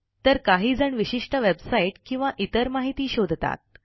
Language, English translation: Marathi, One can search for a specific website or for some other information